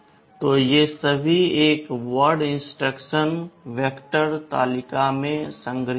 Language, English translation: Hindi, So, these are all one word instructions are stored in the vector table